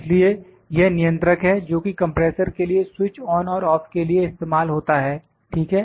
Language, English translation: Hindi, So, this is the controller, this is the controller that is used to switch on and off the compressor, ok